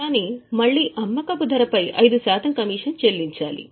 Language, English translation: Telugu, But again we will have to pay commission of 5% on the selling price